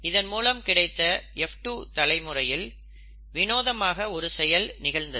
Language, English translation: Tamil, So when that happened, in the F2 generation, something strange happened